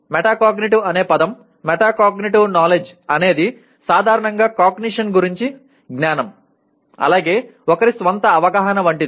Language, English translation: Telugu, Metacognitive knowledge by the very word meta cognitive is a knowledge about cognition in general as well as the awareness of and knowledge about one’s own cognition